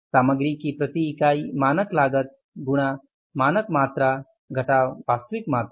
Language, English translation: Hindi, Standard cost of material per unit into standard quantity minus actual quantity